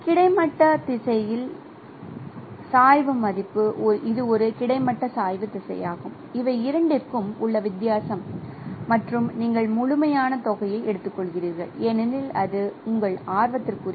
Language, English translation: Tamil, So, the gradient value in the horizontal direction, this is an horizontal gradient direction is the difference between these two and you take the absolute amount because that is of your interest